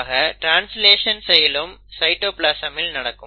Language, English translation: Tamil, The translation is also happening in the cytoplasm